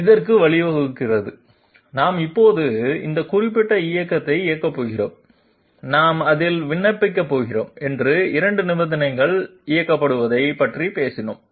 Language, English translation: Tamil, It leads to this that we are now going to operate this particular movement that we have talked about operated by 2 conditions that we are going to apply on it